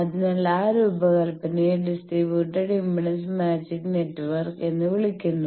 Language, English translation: Malayalam, So, that design is called distributed impedance matching network